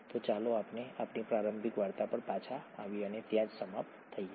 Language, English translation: Gujarati, So let’s come back to our initial story and finish up there